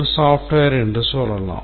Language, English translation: Tamil, Let's say a software